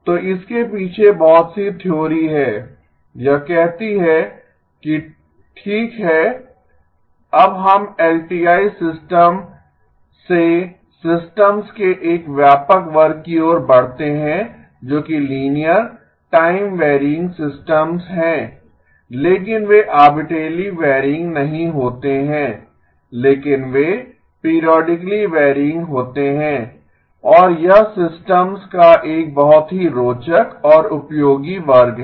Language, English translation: Hindi, So a lot of the theory behind this says okay now we move from LTI systems to a broader class of systems which are linear time varying systems but they are not arbitrarily varying but they are periodically varying and that is a very interesting and useful class of systems